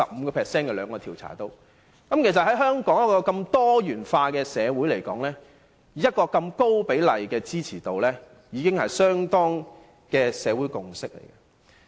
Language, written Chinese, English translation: Cantonese, 能在香港這個如此多元化的社會獲得這般高比例的支持度，已可確認為社會共識了。, In a diversified community like Hong Kong such a high percentage of supporters can convince us to take it as a kind of social consensus